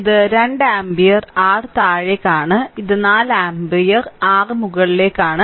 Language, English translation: Malayalam, So, this is your that 2 ampere downwards and this is 4 ampere your upwards right